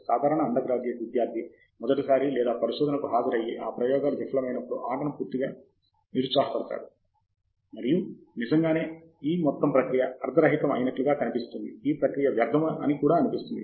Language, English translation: Telugu, Typical undergraduate student going through research or attending the research for first time gets totally disheartened, when the first set of experiments fail, and it really looks like the whole process was pointless, the whole exercise was pointless